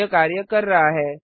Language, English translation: Hindi, it is working